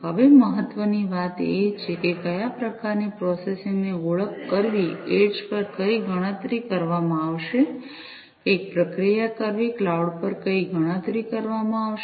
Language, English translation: Gujarati, Now, what is important is to identify which type of processing, what computation will be done at the edge, which processing, what computation will be done at the cloud